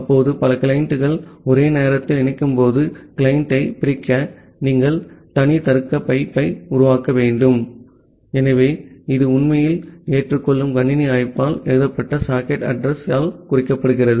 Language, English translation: Tamil, Now, when multiple clients are connecting simultaneously, you need to create separate logical pipe to separate client, so that are actually indicated by the socket address which is written by this accept system call